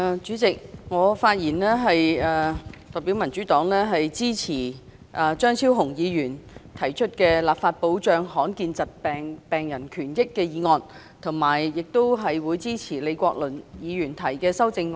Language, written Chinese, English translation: Cantonese, 主席，我發言代表民主黨，支持張超雄議員"立法保障罕見疾病的病人權益"的議案，以及支持李國麟議員的修正案。, President on behalf of the Democratic Party I speak in support of Dr Fernando CHEUNGs motion on Enacting legislation to protect the rights and interests of rare disease patients as well as Prof Joseph LEEs amendment